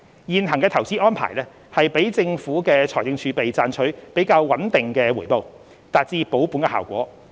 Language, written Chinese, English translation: Cantonese, 現行投資安排讓政府的財政儲備賺取較穩定的回報，達至保本的效果。, The existing investment arrangements enable the Governments fiscal reserves to yield a more stable return and achieve capital preservation